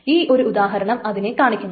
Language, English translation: Malayalam, So here is the example